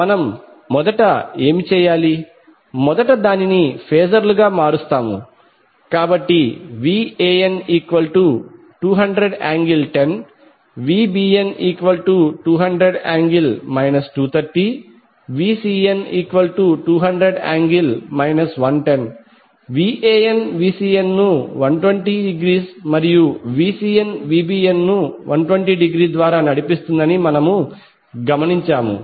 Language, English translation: Telugu, So what we have to do first, first we will convert it into phasors, so VAN can be written as 200 angle 10 degree, VBN can be written as 200 angle 230 degree, VCN can be written as 200 angle 110 degree